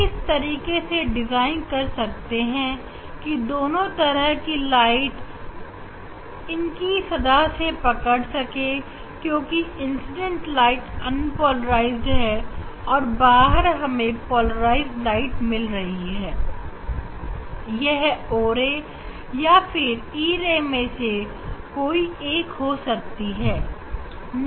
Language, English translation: Hindi, thus, so you design such way, so catch only these light from the surface so that means, incident light was unpolarized light and you are getting outside the polarized light, it can be either O ray or it can be either E ray